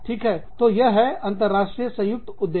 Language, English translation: Hindi, So, that is an international joint venture